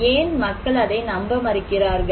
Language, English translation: Tamil, Why people are not believing risk